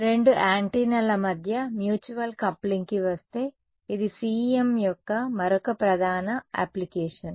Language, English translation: Telugu, So coming to the Mutual Coupling between two antennas ok; so, this is another major application of CEM right